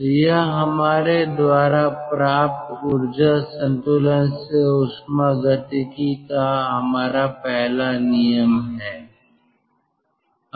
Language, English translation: Hindi, so this is our first law of thermodynamics